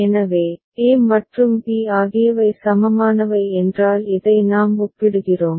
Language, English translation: Tamil, So, a and b are equivalent if this is we are comparing